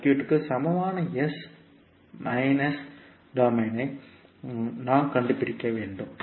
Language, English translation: Tamil, We have to find out the s minus domain equivalent of the circuit